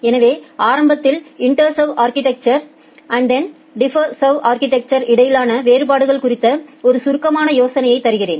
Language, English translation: Tamil, So, in the beginning let me give you a brief idea about the differences between this IntServ and DiffServ architectures